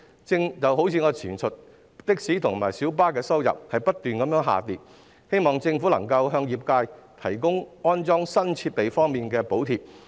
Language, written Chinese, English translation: Cantonese, 正如我剛才提到，的士及小巴的收入不斷下跌，希望政府能向業界提供安裝新設備的補貼。, As I mentioned just now the income of taxis and minibuses keeps falling . I hope the Government will provide the trade with subsidies for the installation of new equipment